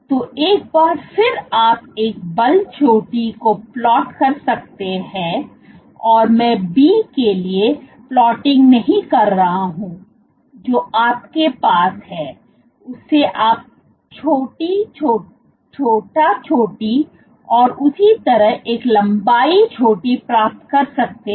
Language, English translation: Hindi, So, once again what you can do is you can plot, the force peak I am not plotting the one for B, but what you have is for these you can get a small force peak and a corresponding length peak